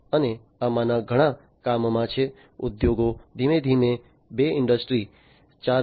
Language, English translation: Gujarati, And many of these in are in the works, the industries are transforming two Industry 4